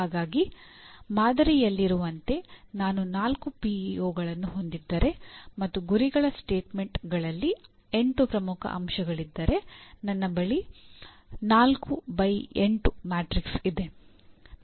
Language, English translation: Kannada, So you may have, if I have four PEOs as in the sample and if I have about 8 mission, the key elements of the mission statements, I have a 4 by 8 matrix